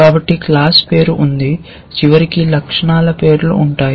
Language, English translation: Telugu, So, there is a class name followed by attribute names eventually